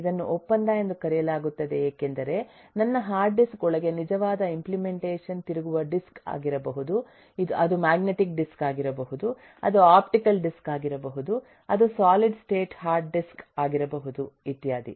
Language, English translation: Kannada, it is called contractual because my actual implementation inside my hard disk could be rotating disks, it could be magnetic disks, it could be optical disks, it could be solid state, eh, hard disk and so on